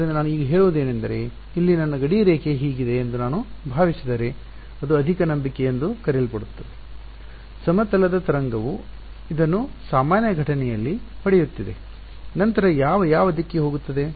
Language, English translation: Kannada, So, what I say now this is the so called a leap of faith if I assume that my boundary over here is this such that the plane wave is hitting this at a normal incidence then which direction is n hat